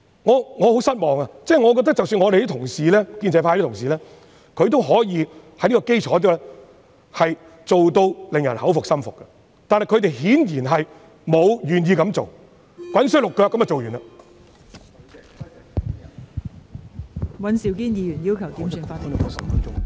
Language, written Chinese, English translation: Cantonese, 我感到十分失望，我認為即使是建制派的同事，也可以在這件事上做到令人心服口服，但他們顯然不願意這樣做，只是急忙地完成處理《條例草案》。, I feel very disappointed . I thought even Members from the pro - establishment camp could have done a convincing job on this issue but they obviously were not willing to do so but only rushed through the Bill